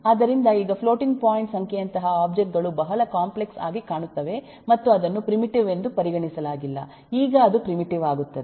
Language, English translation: Kannada, so now the objects like eh, floating point number, which looked very complex and was not considered to be primitive, now in turn it will become primitive